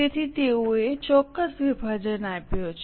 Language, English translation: Gujarati, So, they have given a particular breakup